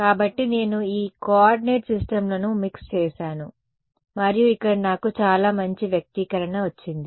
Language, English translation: Telugu, So, I have mixed up these coordinate systems and I have got a very nice expression over here